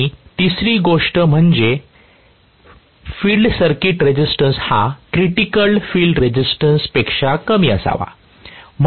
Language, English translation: Marathi, And the third thing is the resistance of the field circuit should be less than that of critical field resistance